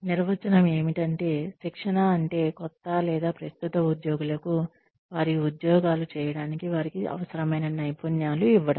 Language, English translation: Telugu, The definition is, training means, giving new or current employees, the skills they need, to perform their jobs